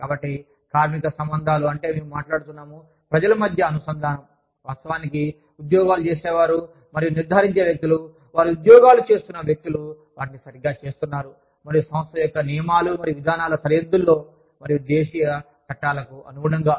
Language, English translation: Telugu, So, this is the, labor relations means, we are talking about, the connect between the people, who actually do the jobs, and people who ensure that, people who are doing their jobs, are doing them right, and within the boundaries of the rules and policies, of the organization, and the law of the land